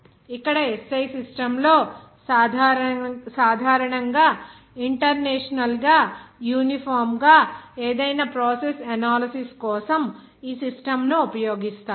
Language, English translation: Telugu, Here in the SI system generally are internationally uniformly used the system for any process analysis in that case